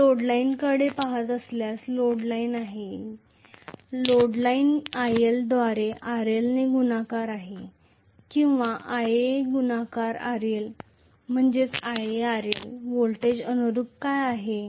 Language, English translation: Marathi, If I am looking at the load line, this is the load line, load line is IL multiplied by RL or Ia multiplied by RL what is the voltage correspondingly